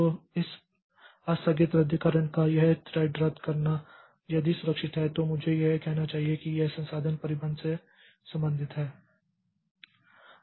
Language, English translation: Hindi, So, this threat cancellation, this deferred cancellation is a bit safe I should say as far as this resource handling is concerned